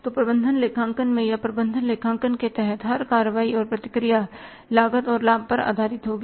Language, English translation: Hindi, So every action and reaction in the management accounting or under management accounting will be based upon the cost and the benefit